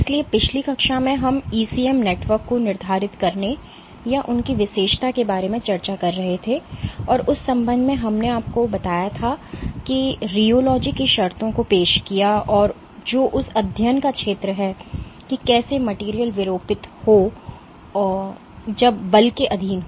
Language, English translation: Hindi, So, in the last class we were discussing how to go about quantifying or characterizing the properties of ECM networks and in that regard, we had the you know introduced the terms of rheology which is the field of that study is how materials deform when subjected to force